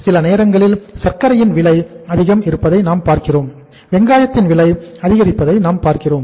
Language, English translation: Tamil, We see the prices of the sugar sometime go up sometime we see the price of the onions go up